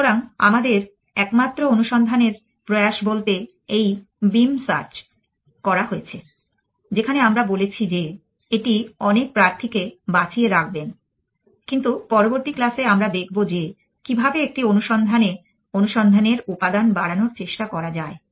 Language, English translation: Bengali, So, for our only attempted exploration has been this beam search in which we have said you will keeps many candidates alive, but in the next class then we meet we will see how to try to increase component of exploration in search